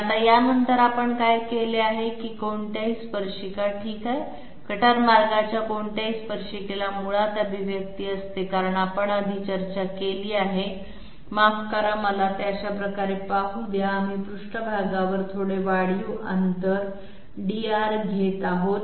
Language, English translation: Marathi, Now, what we have done after this is that any tangent okay any tangent to the cutter path is basically having expression as we have discussed previously sorry let me just look at it this way dR, we are taking a small incremental distance on the surface, small incremental distance on the surface how can we express this